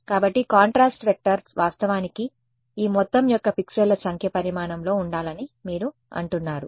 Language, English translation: Telugu, So, you are saying that contrast vector should have been actually the size of the number of the pixels of this right this whole